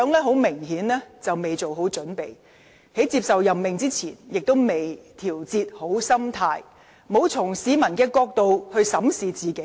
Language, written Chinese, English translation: Cantonese, 她明顯未做好準備，在接受任命之前亦未調節好心態，沒有從市民的角度審視自己。, Apparently she had not been well prepared . Before accepting the appointment she had not adjusted her mentality well by examining herself from the perspective of the public